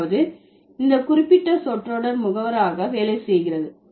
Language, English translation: Tamil, That means this particular phrase works as the agent